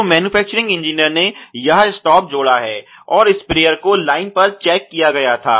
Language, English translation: Hindi, So, the manufacturing engineer, you know added this is stop and the sprayer was checked on line